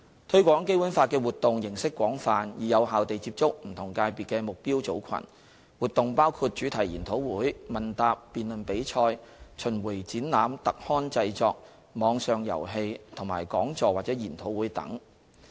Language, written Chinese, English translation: Cantonese, 推廣《基本法》的活動形式廣泛，以有效地接觸不同界別的目標組群，活動包括主題研討會、問答及辯論比賽、巡迴展覽、特刊製作、網上遊戲及講座或研討會等。, There is a wide variety of activities in promoting the Basic Law with a view to effectively reaching out to the target groups of different sectors . These activities include thematic seminars quiz and debate competitions roving exhibitions brochure publication online games and talks or seminars